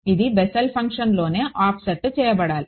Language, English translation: Telugu, It should be offset inside the Bessel function itself